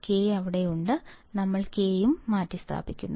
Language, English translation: Malayalam, K is there so; we have substituted K also